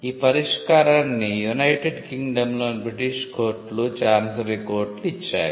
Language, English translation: Telugu, This remedy was given by the British courts by the Chancery courts in United Kingdom